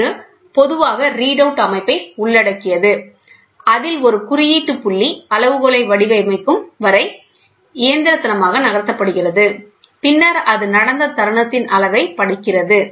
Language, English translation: Tamil, It typically involves a read out system in which an index point is moved mechanically until it frames the scale line, and then reads the amount of the moment that it is taken place